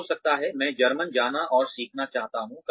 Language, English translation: Hindi, May be tomorrow, I want to go and learn German